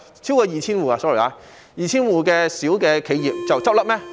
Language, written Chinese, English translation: Cantonese, sorry， 是超過 2,000 戶小企業倒閉嗎？, Will those 1 000 - odd tenants in the industrial buildings sorry will more than 2 000 small enterprises close down?